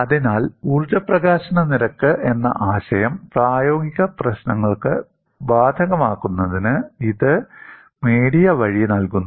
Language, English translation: Malayalam, So, it provides the via media to apply the concept of energy release rate to practical problems